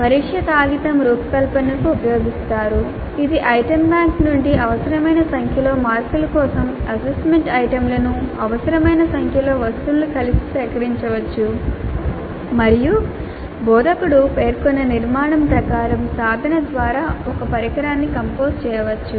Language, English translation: Telugu, That is from the item bank the assessment items for required number of marks in required number of items can be collected together and an instrument can be composed by the tool as for the structure specified by the instructor